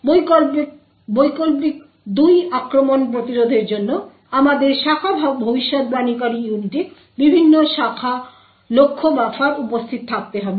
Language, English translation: Bengali, In order to prevent variant 2 attacks we need to have different branch target buffers present in the branch predictor unit